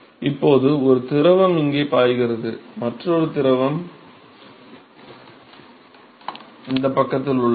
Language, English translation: Tamil, Now there is one fluid which is flowing here and another fluid which is present on this side